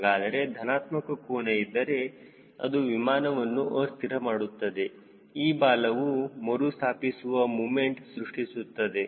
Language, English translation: Kannada, ok, so any positive angle which is coming stabilize this aircraft, this tail will give a restoring moment